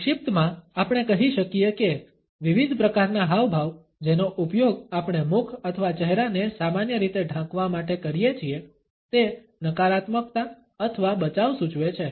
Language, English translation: Gujarati, In brief, we can say that different types of gestures, which we use to cover over mouth or face normally, indicate either negativity or defense